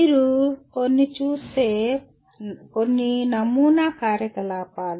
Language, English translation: Telugu, Some sample activities if you look at